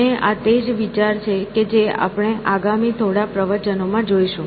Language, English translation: Gujarati, And, this is the idea that you will pursue in the next couple of lectures